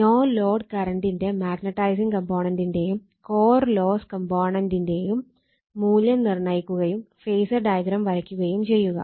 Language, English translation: Malayalam, Determine the value of the magnetizing and core loss component of the no load current and draw the phasor diagram